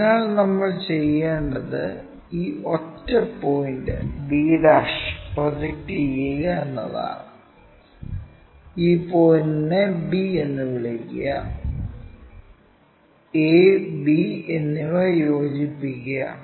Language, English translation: Malayalam, So, what we have to do is project this one point b ' make a projection call this point b, join a and b